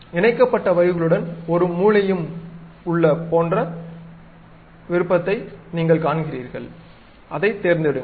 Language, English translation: Tamil, You see there is something like a corner kind of thing with connected lines, pick that one